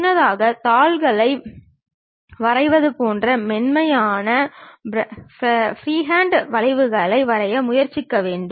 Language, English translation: Tamil, It is more like on drawing sheets earlier we have try to draw smooth freehand curves